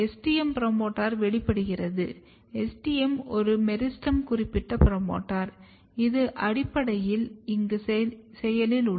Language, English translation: Tamil, And if you are driving expression in the STM promoter, STM you recall this is one meristem specific promoter, which is basically active here